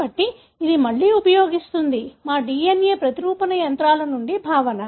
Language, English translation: Telugu, So, it uses again, the concept from our DNA replication machinery